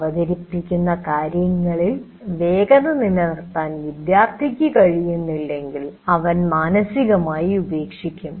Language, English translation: Malayalam, Then what happens is the student is not able to keep pace with what is being presented and he is he will mentally drop out